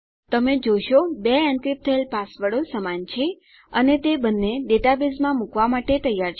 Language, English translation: Gujarati, You can see that my 2 encrypted passwords are identical and both of them are ready to be put in the database